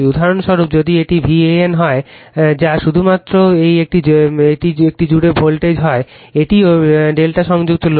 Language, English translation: Bengali, For example, if it is V an that is the voltage across this one only, it is also delta connected load